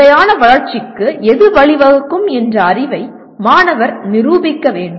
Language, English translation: Tamil, Student should demonstrate the knowledge of what can lead to sustainable development